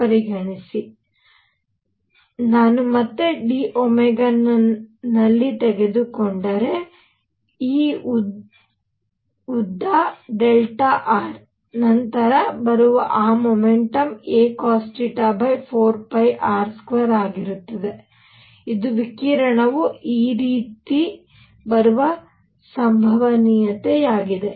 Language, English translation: Kannada, So, if I take again in d omega; this length delta r; then the momentum coming in is going to be a cosine theta over 4 pi r square, which is probability of the radiation coming this way